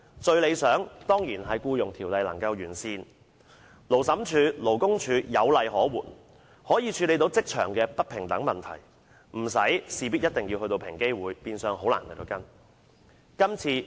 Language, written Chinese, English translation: Cantonese, 最理想的情況，當然是《僱傭條例》得以完善，令勞審處及勞工處在處理職場不平等情況時有法可依，無需事事轉介到平機會，變相令個案難以跟進。, It is definitely most desirable to perfect the Employment Ordinance so that the Labour Tribunal and LD can act in accordance with the law when dealing with inequality in the workplace and there is no need to refer matters to EOC making it difficult to follow up on cases